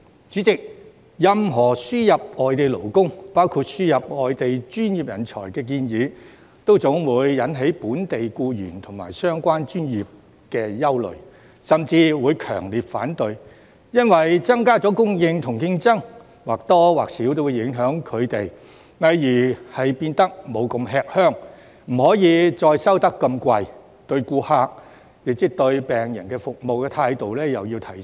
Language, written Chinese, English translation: Cantonese, 主席，任何輸入外地勞工，包括輸入外地專業人才的建議，總會引起本地僱員和相關專業的憂慮，甚至強烈反對。因為增加供應和競爭或多或少會影響他們，例如他們不會那麼吃香，不可再收那麼昂貴的費用，對顧客的服務態度也要提升。, President any proposal to import foreign labour including foreign professionals will always arouse concern of local employees and the professions concerned and there will even be strong oppositions because the increase in supply or competition will affect them to a certain extent eg . they will not be so popular they can no longer charge such expensive fees and their attitude towards clients will have to be upgraded